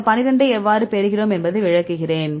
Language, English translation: Tamil, Now I will explain; how we get this number 12